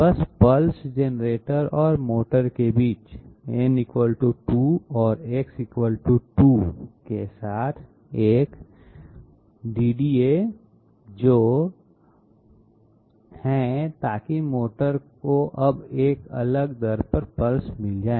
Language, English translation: Hindi, Simply add a DDA with n = 2 and X = 2 in between pulse generator and motor so that the motor is now going to get pulses at a different rate